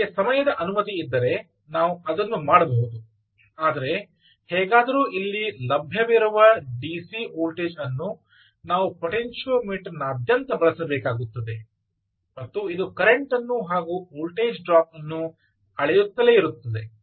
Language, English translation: Kannada, if time permits, we can do that, but anyway, just the point is that the d, c voltage that is available here, ah, we will have to be used across a potentiometer and keep measuring the current as well as the voltage